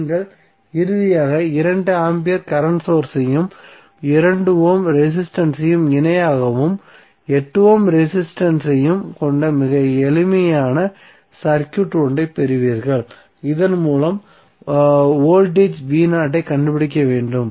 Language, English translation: Tamil, So when transform you get finally very simple circuit where you have 2 ampere current source and 2 ohm resistance in parallel and 8 ohm resistance across which we have to find out the voltage V Naught so, just simply use current division we will get current across 8 ohm resistance as 0